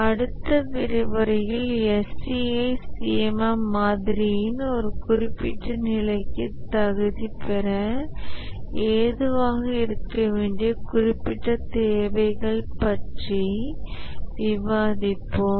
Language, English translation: Tamil, We will stop here and in the next lecture we will discuss about the specific requirements that the organization must meet to be able to qualify for a specific level of the SEI C M M model